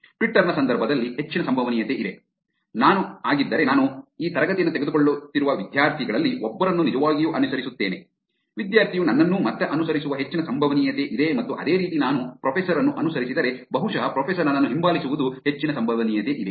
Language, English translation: Kannada, Whereas in the context of Twitter there is a high probability that, let us take if I am, I actually follow one of the students who are taking this class, there is a high probability that the student is going to follow me back again and the same way if I follow a professor and the professor probably there is a high probability there the professor will follow me back